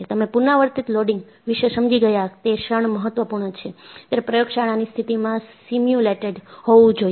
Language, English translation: Gujarati, The moment, you understood repeated loading is important; it has to be simulated in a laboratory condition